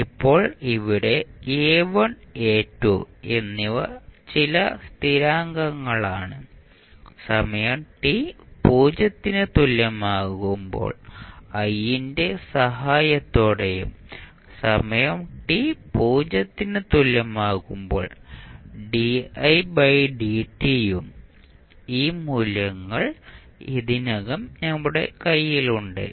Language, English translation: Malayalam, Now, here a1 and a2 are some constants which you can determine with the help of I at time t is equal to 0 and di by dt at time t is equal to 0 and these values we already have in our hand